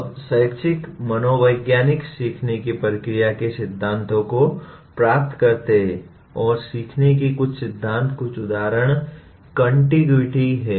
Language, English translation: Hindi, Now educational psychologists derive principles of learning process and some of the principles of learning, some examples are “contiguity”